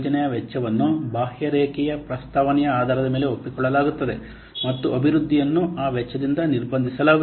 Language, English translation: Kannada, The project cost is agreed on the basis of an outline proposal and the development is constrained by that cost